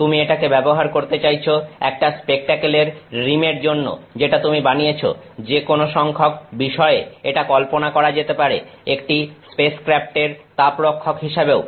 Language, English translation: Bengali, You want to use that for a rim of a spectacle that you are making, any number of things it is supposed to be the heat shield for a spacecraft